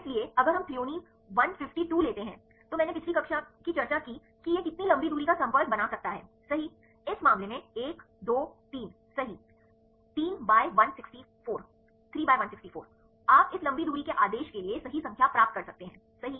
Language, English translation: Hindi, So, if we take the Threonine 152, I discussed last class right how many long range contact this can make; Right, 1, 2, 3, right, in this case; 3 by 164; you can get the number right for this long range order, right